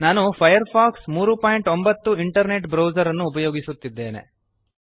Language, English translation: Kannada, I am using Firefox 3.09 internet browser